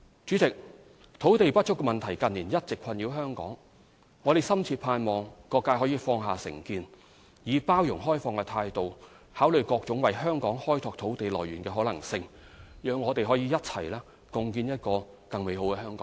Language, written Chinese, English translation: Cantonese, 主席，土地不足問題近年一直困擾香港，我深切盼望各界可以放下成見，以包容開放態度考慮各種為香港開拓土地來源的可能性，讓我們可以一起共建一個更美好的香港。, President land shortage has been plaguing Hong Kong in recent years . I earnestly hope that all sectors of the community can put aside differences and consider with inclusiveness every possibility of creating land to make Hong Kong a better place